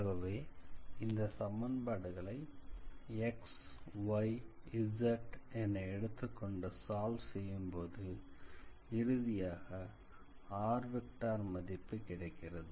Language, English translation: Tamil, So, if we saw how to say write these equations as x, y, z and then if we try to solve it, then we will obtain r is equals to ultimately